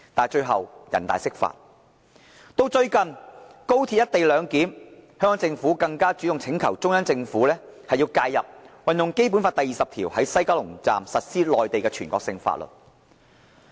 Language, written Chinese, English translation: Cantonese, 最近，就"一地兩檢"安排，香港政府更主動請求中央政府介入，運用《基本法》第二十條，在西九龍站實施內地全國性法律。, Recently the Hong Kong Government has asked the Central Government for intervention on its own accord regarding the co - location arrangement as it tries to invoke Article 20 of the Basic Law to allow the enforcement of national laws in the West Kowloon Station